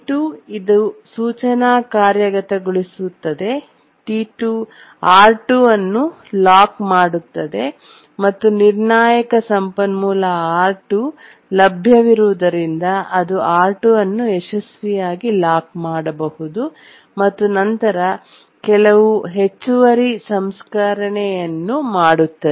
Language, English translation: Kannada, T2 it executes the instruction lock R2 and since the critical resource R2 is available it can successfully lock R2 and then it does some extra processing, some other processing it does